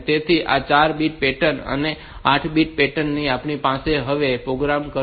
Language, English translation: Gujarati, So, this is the 4 bit pattern 8 bit pattern that we have now what the program will do